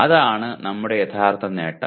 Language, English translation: Malayalam, That is our actual attainment